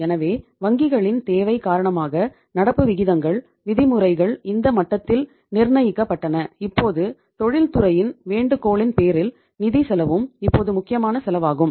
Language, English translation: Tamil, So it is because of the requirement of the banks the current ratios, uh norms, uh were fixed at this level and now on the request of the industry because the financial cost is also now the important cost